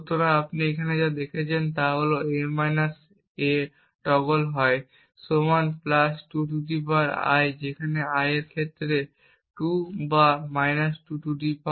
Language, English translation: Bengali, So, what you see here is that a – a~ is either equal to (+2 ^ I) where I is 2 in this case or ( 2 ^ I)